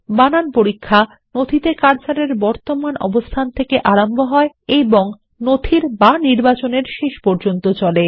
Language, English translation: Bengali, The spellcheck starts at the current cursor position and advances to the end of the document or selection